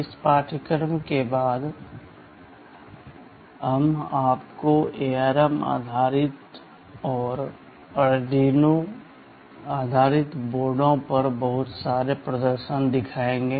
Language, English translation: Hindi, In the later part of this course, we shall be showing you lot of demonstration on ARM based and Arduino based boards